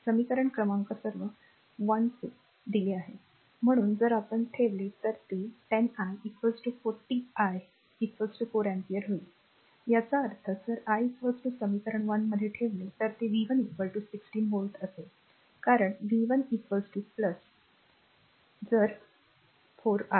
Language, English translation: Marathi, So, if you put it it will be 10 i is equal to 40 your i is equal to 4 ampere ; that means, if you put i is equal to in equation one it will be v 1 is equal to 16 volt, because v 1 is equal to plus if your ah 4 i